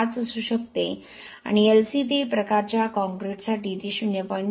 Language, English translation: Marathi, 5 and for LC 3 type concrete it could be 0